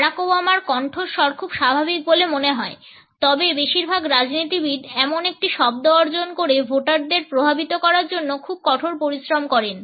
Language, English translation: Bengali, Barack Obama’s voice seems very natural, but most politicians work very hard to achieve a sound that impresses the voters